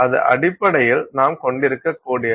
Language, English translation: Tamil, So, that is essentially what we can possibly have